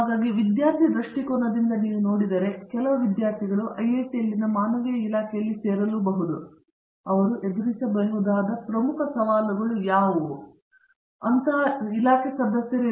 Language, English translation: Kannada, So, now if you look at it from student perspective, some students who come to join humanities department and may be a humanities department in an IIT, what do you think are major challenges that they may face or they tend to face when they join such a department